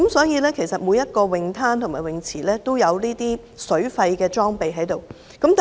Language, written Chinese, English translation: Cantonese, 因此，每個泳灘及泳池也設有水肺潛水裝備。, Hence scuba diving equipment is provided at every beach and pool